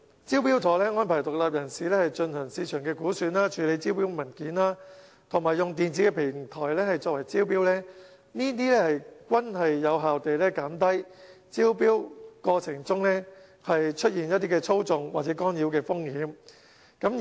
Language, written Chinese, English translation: Cantonese, "招標妥"安排獨立人士進行市場估算、處理招標文件、以電子平台招標，這些均有效減低招標過程中出現操縱或干擾的風險。, Under the initiative independent consultants are arranged to conduct cost estimates handle tender documents and invite tenders via an electronic platform . These are all helpful in reducing risks of manipulation or disturbance during the tendering process